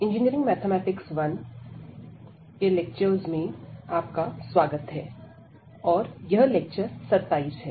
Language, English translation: Hindi, So, welcome back to the lectures on Engineering Mathematics 1, and this is lecture number 27